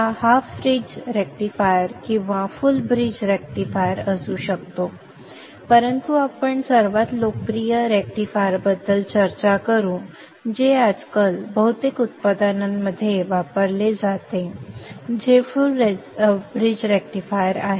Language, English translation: Marathi, It may be a half bridge rectifier or a full bridge rectifier but we shall discuss the most popular rectifier which is used in most of the products today which is the full bridge rectifier